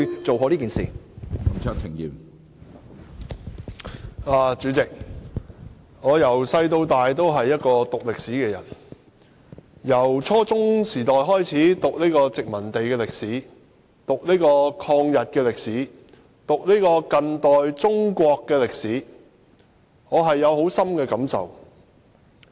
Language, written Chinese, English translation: Cantonese, 主席，我自小修讀歷史，由初中時代開始讀殖民地歷史、抗日歷史以至近代中國史，我的感受甚深。, President I studied history when I was young . I started learning colonial history at junior secondary level followed by the history of anti - Japanese wars and contemporary Chinese history . Thus I have strong feelings towards Chinese history